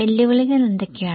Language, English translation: Malayalam, What are the challenges